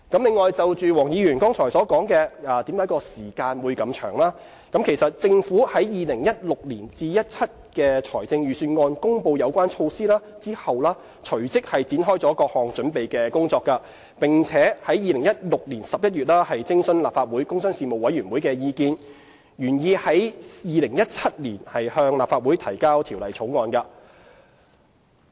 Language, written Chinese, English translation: Cantonese, 另外，就黃議員剛才所提出，落實措施的時間為何會如此長，政府在 2016-2017 年度財政預算案公布有關措施後，隨即展開各項準備工作，並在2016年11月徵詢立法會工商事務委員會的意見，原擬在2017年向立法會提交條例草案。, Mr WONG has asked why it takes such a long time to implement the proposed tax deduction . The Government commenced the preparation work and consulted the Panel on Commerce and Industry of the Legislative Council in November 2016 right after the announcement of the relevant measures in the 2016 - 2017 Budget . The Government originally planned to submit the Bill to the Legislative Council in 2017